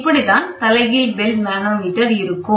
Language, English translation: Tamil, So, this is how an inverted bell manometer looks like